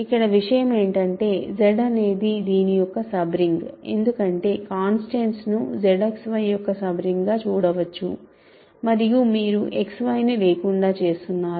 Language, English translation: Telugu, The point is Z is a sub ring of this right because, constants can be viewed has sub ring of Z X Y for sure and then you are killing X Y